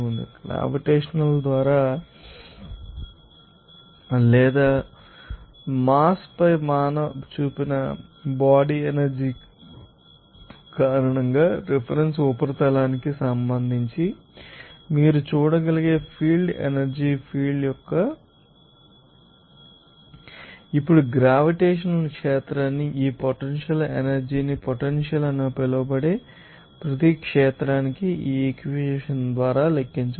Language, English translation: Telugu, Because of the body force that exerted on its mass by a gravitational or some other you know that field force field you can see with respect to a reference surface, now this potential energy for a gravitational field can be calculated by this equation per field called potential energy